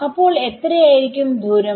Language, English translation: Malayalam, So, how much is this distance equal to